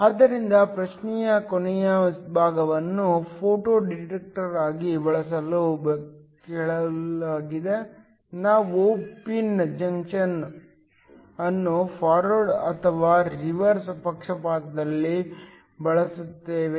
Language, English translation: Kannada, So, the last part of the question asked for use as a photo detector, do we use the pin junction in forward or reverse bias